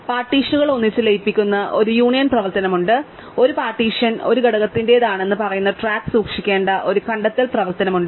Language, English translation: Malayalam, So, there is a union operation which merges partitions together and there is a find operation which has to keep track of which partition a set belongs to an element belongs to over time with partition